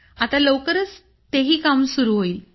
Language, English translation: Marathi, Now that work is also going to start soon